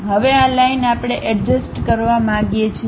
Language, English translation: Gujarati, Now, this line we would like to adjust